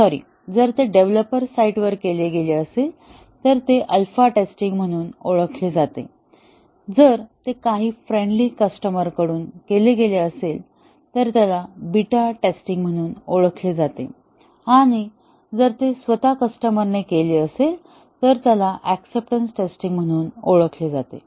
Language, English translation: Marathi, Sorry, if it is done by the developer site, it is known as the alpha testing; if it is done by some friendly customers, it is known as beta testing and if it is done by the customer himself or herself, it is known as the acceptance testing